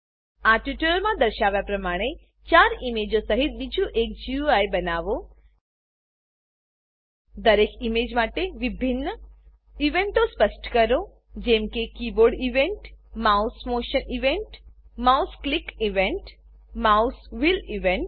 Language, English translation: Gujarati, Create another GUI with four images, similar to the demonstration shown in this tutorial, For each of the image, specify different events such as keyboard event, mouse motion event, mouse click event, mouse wheel event